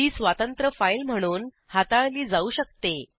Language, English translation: Marathi, * It can be treated as a separate file